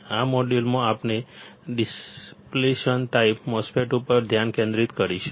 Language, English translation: Gujarati, In this module we will concentrate on depletion type MOSFET